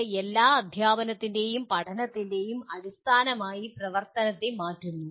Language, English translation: Malayalam, It makes the activity as the basis of all teaching and learning